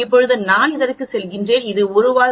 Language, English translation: Tamil, Now I go to this it is a 1 tailed test 0